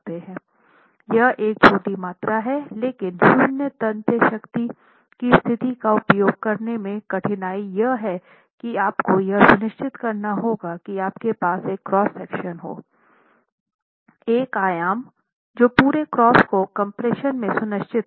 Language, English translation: Hindi, It's a small quantity and the difficulty in using a zero tensile strength condition is that you will have to then ensure you have a cross section, a dimension which ensures the entire cross section is in compression